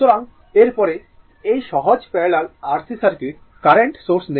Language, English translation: Bengali, So, after this, so this is simple parallel R C circuit we take current source